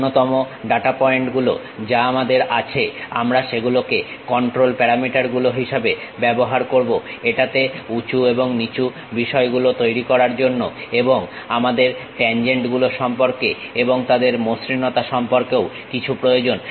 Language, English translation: Bengali, The minimum data points what we have those we will use it like control parameters to make it up and down kind of things and we require something about tangents, their smoothness also